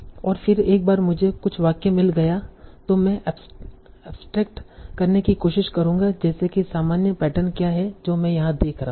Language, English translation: Hindi, So, and then once I have found some sentences, I will try to abstract what is the normal pattern that I am seeing here